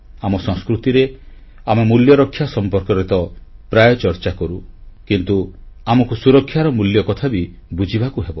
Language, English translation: Odia, In our culture, we often talk of safety of values; we now need to realize the values of safety